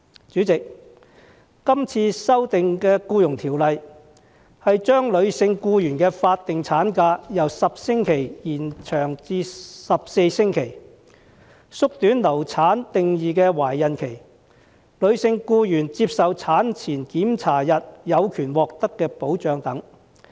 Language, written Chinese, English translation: Cantonese, 主席，這次修訂的《僱傭條例》是將女性僱員的法定產假由10星期延長至14星期、縮短流產定義的懷孕期，以及女性僱員接受產前檢查日有權獲得的保障等。, President the amendments to the Employment Ordinance this time around is to extend the statutory maternity leave of female workers from 10 weeks to 14 weeks shorten the duration of pregnancy under the definition of miscarriage and to secure the protection of female workers to receive antenatal examinations